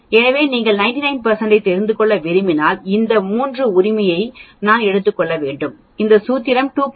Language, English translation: Tamil, So if you want to know 99 percent obviously, I need to take this 3 sigma right that will be the formula is 2